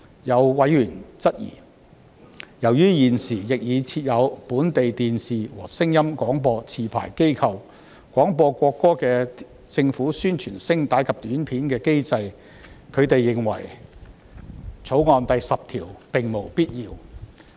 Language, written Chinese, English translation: Cantonese, 有委員質疑，由於現時亦已設有本地電視和聲音廣播持牌機構，廣播國歌的政府宣傳聲帶及短片的機制，他們認為《條例草案》第10條並無必要。, Some members have questioned that clause 10 of the Bill is unnecessary as the mechanism for broadcasting APIs on the national anthem by domestic television and sound broadcasting licensees is already in place